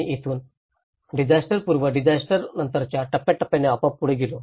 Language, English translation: Marathi, And from here, we moved on with the stagewise disaster from pre disaster to the post disaster